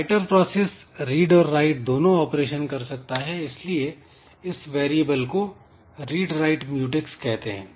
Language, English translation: Hindi, So, so writer can do both read and write operation that's why we name the variable as read write mute x